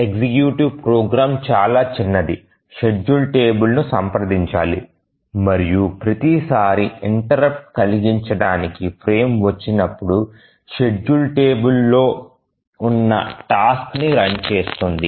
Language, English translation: Telugu, The executive program is very small, just needs to consult the schedule table and each time it gets a frame interrupt, it just runs the task that is there on the schedule table